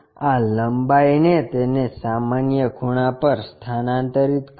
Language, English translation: Gujarati, Transfer this length normal to that